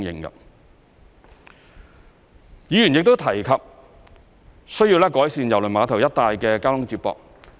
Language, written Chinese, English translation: Cantonese, 議員亦提及需要改善郵輪碼頭一帶的交通接駁。, Members have also mentioned the need to improve the transport links around the cruise terminal